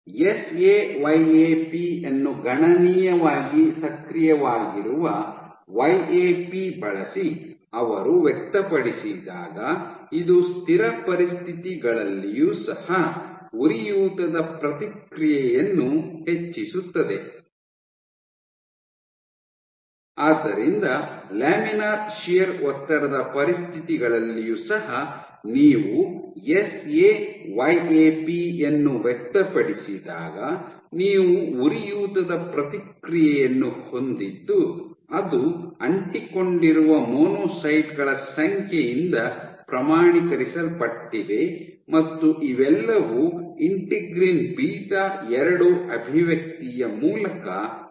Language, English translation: Kannada, Also when they over expressed using SA YAP considerably active YAP this increase the inflammatory response under even under static conditions; So, even under laminar shear stress conditions you had inflammatory response when you over express they saYAP as quantified by the number of monocytes which got adhered adhesion and all of this was made possible via expression of Integrin beta 2